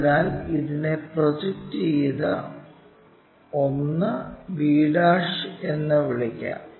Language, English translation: Malayalam, So, let us call this projected 1 b '